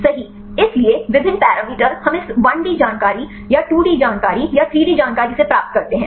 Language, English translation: Hindi, So, various parameters we derive from this 1D information or 2D information or 3D information right